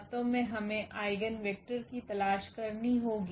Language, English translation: Hindi, Actually we have to look for the eigenvector